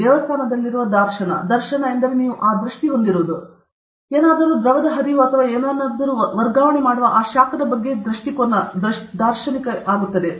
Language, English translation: Kannada, Dharshan which is, say, in a temple; dharshan means you have that vision; the vision of that heat transferring something fluid flow or something, you have a complete idea of what that